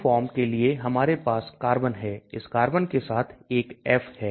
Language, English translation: Hindi, For fluoroform so we have carbon there is a F with this carbon